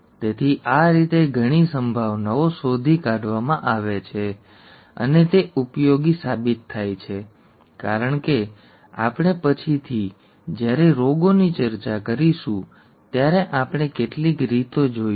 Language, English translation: Gujarati, So we, a lot of probabilities this way are found and they turn out to be useful as we will see in some ways later on when we discuss diseases